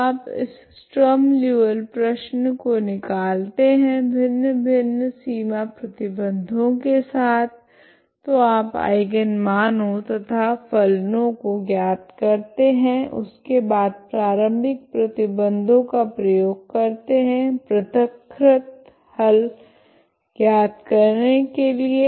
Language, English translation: Hindi, So you can work out bring extract this Sturm Liouville problem with different boundary conditions so you find the eigenvalues and eigenfunctions, then apply the initial conditions to get the solution in a separable form